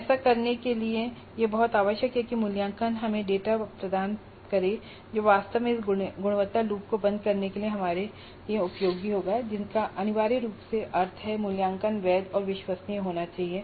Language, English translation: Hindi, And to do this it is very essential that the assessment must give us data which is really useful for us for closing this quality loop which essentially means that the assessment must be valid and reliable and that requires certain process to be followed